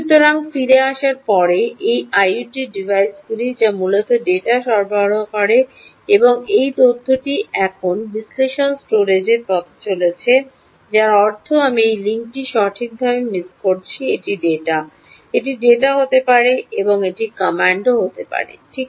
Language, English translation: Bengali, so coming back, so these are the i o t devices, all of them, which essentially are supplying data and this data is now going in the route of to the analytics storage, which means i miss this link right, this is data, it has to be data and this has to be command, this has to be command, right, so command in this direction